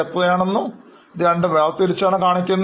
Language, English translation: Malayalam, Now, why these items are shown separately